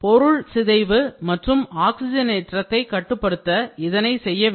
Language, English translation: Tamil, So, this is required to prevent or minimize degradation and oxidation